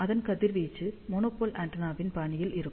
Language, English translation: Tamil, One component will correspond to one monopole antenna